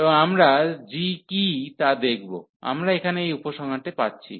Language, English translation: Bengali, And we have to find for what g, we are getting this conclusion here